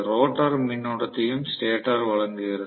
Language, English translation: Tamil, Stator is also supplying the rotor current